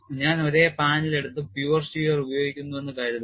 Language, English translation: Malayalam, Suppose I take the same panel and apply pure shear how does the crack grow